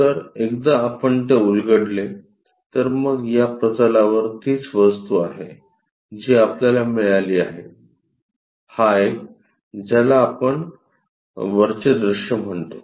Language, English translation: Marathi, So, once we unfold that, so this is the object on that plane, what we get; this one; that one what we call this top view